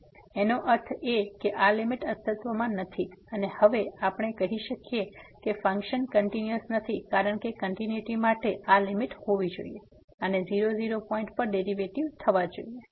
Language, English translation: Gujarati, So; that means, this limit does not exist and now we can just say that the function is not continuous because for continuity this limit should exist and should approach to the derivative at 0 0 point